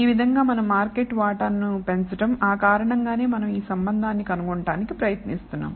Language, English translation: Telugu, So, as to increase our market share that is the reason we are trying to find this relationship